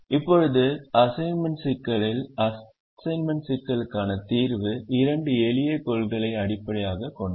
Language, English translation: Tamil, now, the assignment problem is: the solution to the assignment problem is based on two simple principles